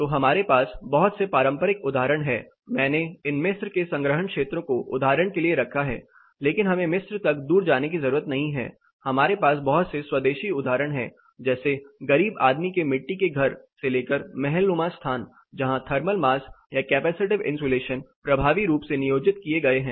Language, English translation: Hindi, So, we have lot of traditional examples, I have put this Egyptian storage areas, but we do not have to go all the far to Egypt; we had a lot of individual example starting from poor man’s mud house to palatial spaces where thermal mass are the capacitive insulation as been all the more effectively implied